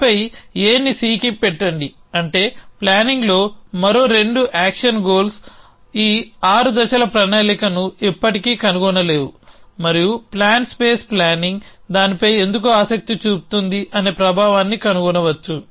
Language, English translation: Telugu, Then put A on to C that is 2 more action goals at planning would never find this 6 step plan and plan space planning can find influence that why interest in that